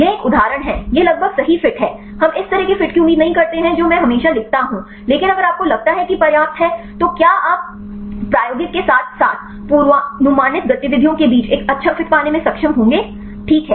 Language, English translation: Hindi, This is the one example this is a almost perfect fit right this we do not expect this type of fit I always write, but if you are like enough then will you are able to get a good fit between the experimental as well as the predicted activities right